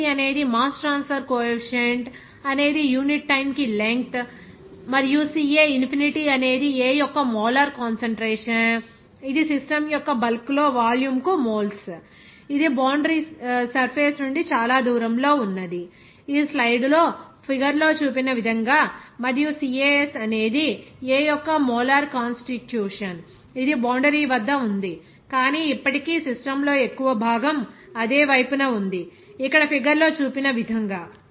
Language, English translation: Telugu, kC is the mass transfer coefficient per unit length sorry length per unit time and also CA infinity is the molar concentration of A that is moles per volume in the bulk of the system that is far away from the boundary surface as shown in the figure in the slides, and CAS is the molar constitution of A that is right at the boundary but still on the same side as the bulk of the system, here as shown in the figure